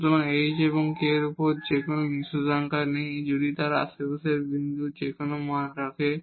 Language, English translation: Bengali, So, there is no restriction on h and k if they can take any value to have a point in the neighborhood